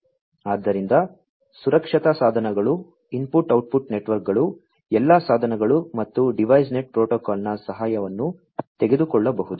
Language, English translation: Kannada, So, you know safety devices, input output networks, etcetera, could all take help of the devices and DeviceNet protocol